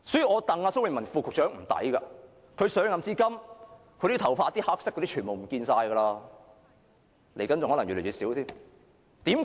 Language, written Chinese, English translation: Cantonese, 我替蘇偉文副局長感到不值，他上任至今，他的黑頭髮已不見了，未來更可能越來越少，為甚麼？, I think Under Secretary Dr Raymond SO has been unfairly treated . Since he assumed office his black hair has gone and I think he will lose more hair in the future . Why?